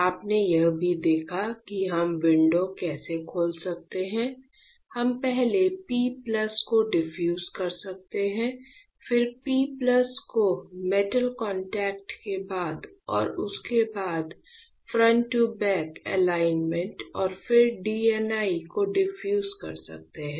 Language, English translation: Hindi, You also seen that how we can open the window we can defuse the p plus first, then you can defuse p plus plus followed by the metal contact and followed by the front to back alignment and then DNI right